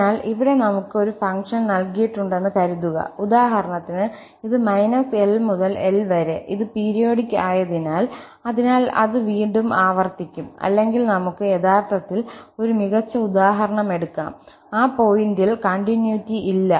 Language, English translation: Malayalam, So, suppose here we have a function which is given, for example, this minus L to L and since it is periodic, so it will repeat again, or, let us take a better example where we have actually, no continuity at that point